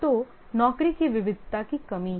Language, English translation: Hindi, So there is a lack of job variety